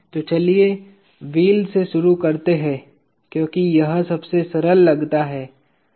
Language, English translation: Hindi, So, let us start with the wheel because that seems to be the simplest one